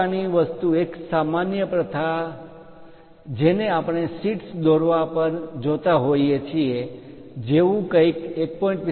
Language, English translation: Gujarati, Such kind of thing a common practice we see it on drawing sheets something like 1